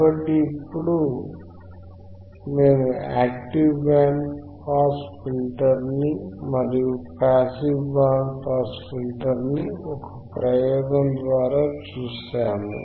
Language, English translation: Telugu, So now what we have seen, we have seen an active band pass filter and we have seen a passive band pass filter as an experiment